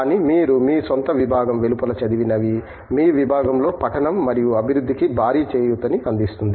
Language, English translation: Telugu, But, what you read outside your own discipline has huge implication for reading and development in your discipline as well